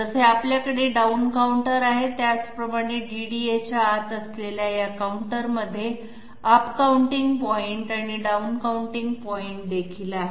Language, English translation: Marathi, Just like we have down counters, these counters inside the DDA they also have up counting point and their down counting point